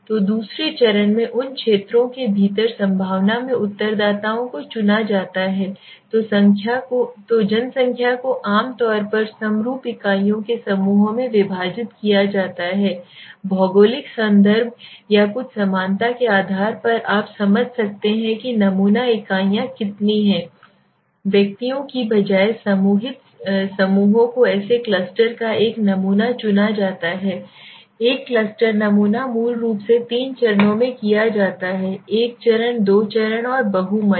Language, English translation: Hindi, So in the second stage the respondents within those areas are selected in a probabilistic manner okay so the population is divided into clusters of homogenous units clusters usually based on geographical contiguity or something similarity you can understand so sample units are grouped groups rather than individuals a sample of such cluster is selected so what happens here is a cluster sample basically done in 3 ways one stage, two stage and multi stage